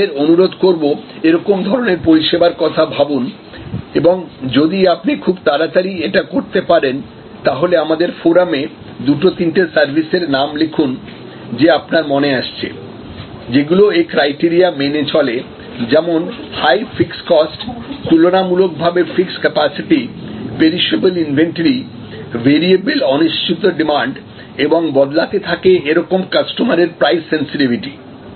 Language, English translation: Bengali, So, I would request you to think about such services and if you are quick, then respond in the forum giving names of two or three services, which in your mind full fill these criteria; that is high fixed cost structure, relatively fixed capacity, perishable inventory, variable uncertain demand and varying customer price sensitivity